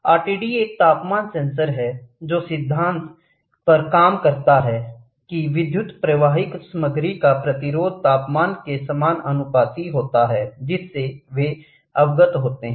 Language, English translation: Hindi, An RTD is a temperature sensor that works on the principle of principle that the resistance of electrical conductor conductivity material is proportional to the temperature to which they are exposed to